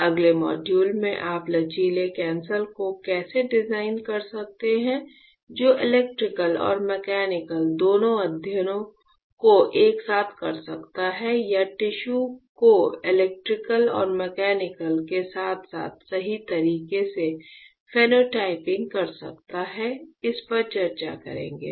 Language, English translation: Hindi, In the next module, what we will discuss is how can you design flexible sensor that can perform both electrical and mechanical studies together or phenotyping of tissues electrical and mechanical simultaneously right